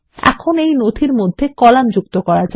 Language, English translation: Bengali, Now lets insert columns into our document